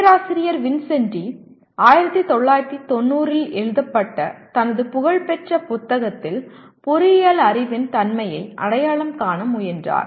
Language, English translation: Tamil, Professor Vincenti attempted to identify the nature of engineering knowledge in his famous book written back in 1990